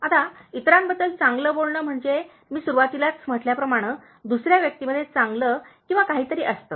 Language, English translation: Marathi, Now, speaking good about others is, as I was telling at the beginning, there is something or other good in the other person